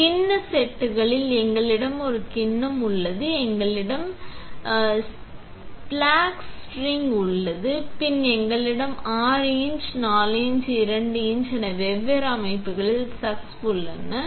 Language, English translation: Tamil, In the bowl sets, we have a bowl, we have a splash ring, then we have different sizes of chucks is 6 inch, 4 inch, 2 inch